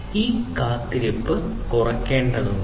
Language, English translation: Malayalam, So, this waiting has to be minimized